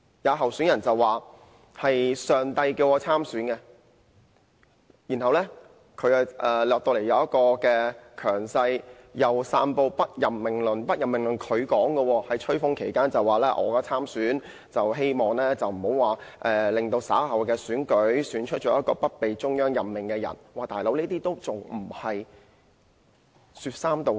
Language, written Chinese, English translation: Cantonese, 有候選人說上帝叫她參選，然後一直表現強勢，又散播"不任命論"，"不任命論"是她提出來的，她在吹風期間表示參選是希望避免在稍後選舉時，選出一名不被中央任命的人，"老兄"，這樣還不是說三道四？, A candidate said that she had decided to run for the post of Chief Executive in response to Gods calling . Since then she has been running a strong campaign with talk about the Central Government having the power not to appoint the Chief Executive - elect . She is the one who first floated the idea